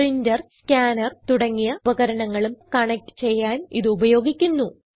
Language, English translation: Malayalam, These are used for connecting devices like printer, scanner etc